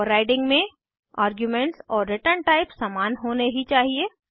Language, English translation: Hindi, In overriding the arguments and the return type must be same